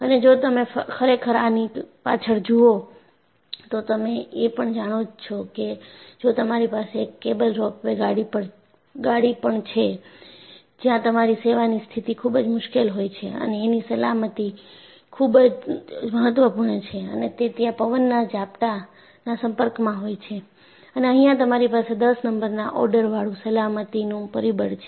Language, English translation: Gujarati, And if you really look back, you know, if you have this cable ropeway cars, where you have a very difficult service condition and safety is very very important and it is also exposed to the gusts of wind and you have factor of safety of the order of N